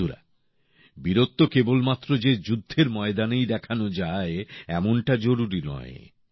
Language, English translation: Bengali, it is not necessary that bravery should be displayed only on the battlefield